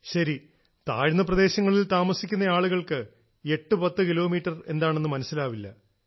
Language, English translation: Malayalam, Well, people who stay in the terai plains would not be able to understand what 810 kilometres mean